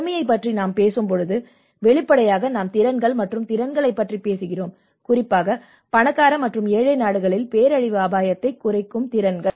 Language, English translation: Tamil, When we talk about poverty, obviously we are talking about the abilities and the capacities, the disaster risk reduction capacities in richer and poor countries